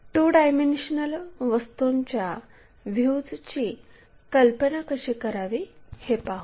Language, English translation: Marathi, If two dimensional objects are present how to visualize these views